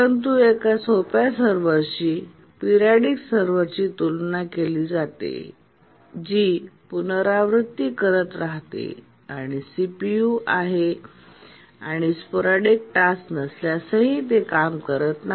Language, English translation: Marathi, But then compared to a simple server, periodic server which just keeps on repeating and even if there is CPU, there is no sporadic task, it just idles the CPU time